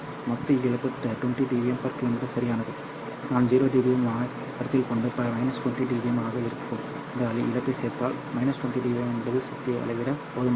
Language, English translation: Tamil, Well the total loss is 20 dB per kilometer and if I consider 0 dBm and add this loss which is minus 20 dB what I get is minus 20, which is just sufficient to measure the power